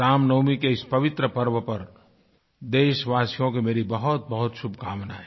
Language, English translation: Hindi, Once again, my best wishes to all of you on the occasion of Ramnavami